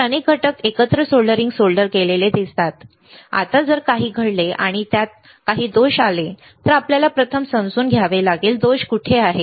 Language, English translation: Marathi, So, many components solder together see soldering solder together, now if something happens and then there is a fault it is, we have to first understand, where is the fault